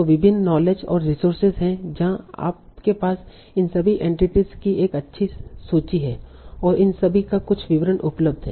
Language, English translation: Hindi, Now there are various knowledge bases and resources where you have a good list of all these entities and some descriptions of these available